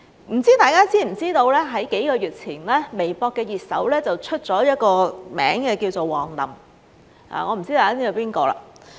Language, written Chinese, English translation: Cantonese, 不知大家知不知道在數個月前，微博熱搜出了一個名字叫王林，我不知大家知不知道是誰。, I wonder if Members know that several months ago a person named WANG Lin became a hot search on Weibo . I do not know if Members know who he is